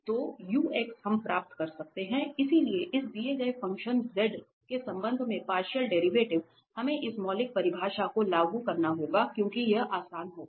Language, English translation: Hindi, So, the ux we can get, so partial derivative with respect to x of this given function, we have to apply the we can apply this fundamental definition because this will be easier